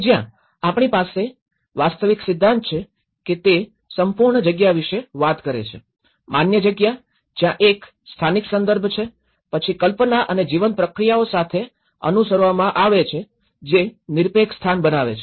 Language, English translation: Gujarati, Where, we have the actual theory about he talks about the absolute space which is where, the perceived space, where there is a vernacular context and then which is followed up with the conceived and the living processes which makes as an absolute space